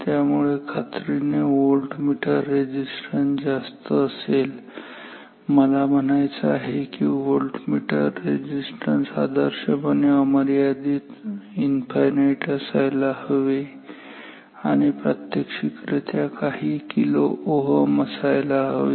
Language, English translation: Marathi, So, definitely voltmeter resistance is much higher I mean voltmeter resistance ideally is infinite practically several maybe several kilo ohms